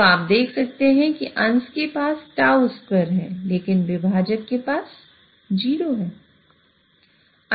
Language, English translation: Hindi, So, you can see that the numerator has tau square, but the denominator has 1